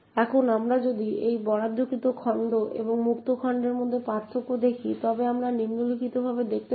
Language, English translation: Bengali, Now if we look at the difference between the allocated chunk and the freed chunk we see the following